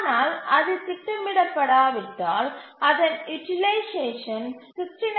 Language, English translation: Tamil, But if it is not schedulable, its utilization is more than 69